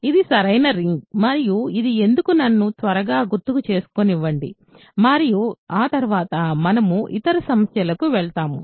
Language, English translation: Telugu, This is a ring right, and let me quickly recall why and then, we will move on to the other problems